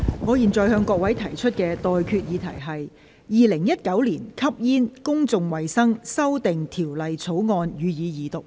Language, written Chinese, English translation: Cantonese, 我現在向各位提出的待決議題是：《2019年吸煙條例草案》，予以二讀。, I now put the question to you and that is That the Smoking Amendment Bill 2019 be read the Second time